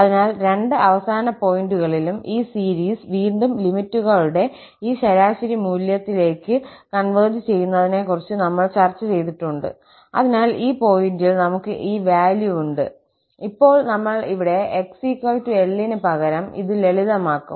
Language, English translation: Malayalam, So, at both the end points also, we have discussed the convergence that again this series converges to this average value of the limits and thus, we have this value at the end points, now, when we substitute here x is equal to L this will be simplified